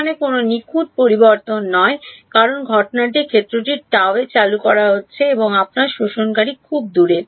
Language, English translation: Bengali, Perfect no change at all because incident field is being introduced at gamma prime and your absorber is far away